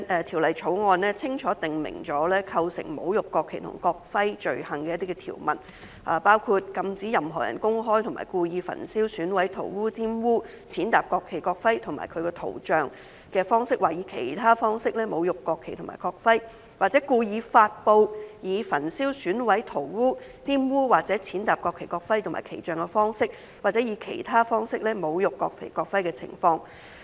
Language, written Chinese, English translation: Cantonese, 《條例草案》清楚訂明構成侮辱國旗及國徽罪行的相關條文，包括禁止任何人公開及故意以焚燒、毀損、塗劃、玷污、踐踏國旗、國徽或其圖像的方式或以其他方式侮辱國旗或國徽；或故意發布以焚燒、毀損、塗劃、玷污或踐踏國旗、國徽或其圖像的方式或以其他方式侮辱國旗或國徽的情況。, The Bill clarifies the provisions relating to offences of desecrating behaviour in relation to the national flag and national emblem including the prohibition of a person from publicly and intentionally desecrating the national flag or national emblem by burning mutilating scrawling on defiling or trampling on it or its image or in any other way; and from intentionally publishing a desecration of the national flag or national emblem by burning mutilating scrawling on defiling or trampling on it or its image or in any other way